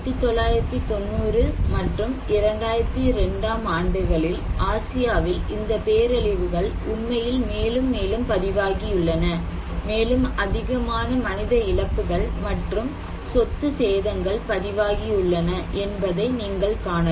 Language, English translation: Tamil, So, actually it is increasing in all continents particularly in Asia, so in 1990’s and 2002, you can see in Asia’s, these disasters are actually more and more reported and more and more human losses and property damage are reported